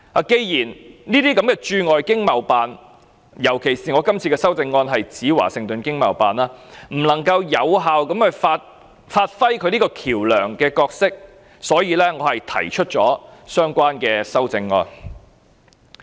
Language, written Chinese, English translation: Cantonese, 既然這些駐外經貿辦——尤其我這項修正案指明是華盛頓經貿辦——不能夠有效發揮橋樑角色，所以我提出相關的修正案。, Given that these ETOs especially the Washington ETO that my amendment specifically focus on fail to perform their role as the communication interface I thus propose this amendment